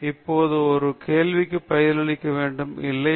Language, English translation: Tamil, Now we have to answer a question, no